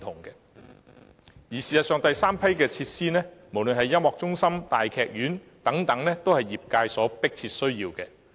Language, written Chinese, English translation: Cantonese, 事實上，第三批設施，無論是音樂中心或大劇院等，皆是業界迫切需要的。, In fact the relevant sector is in pressing need of the third batch of facilities whether speaking of the Music Centre or the Grand Theatre